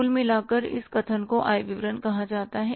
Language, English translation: Hindi, And in total, this statement is called as the income statement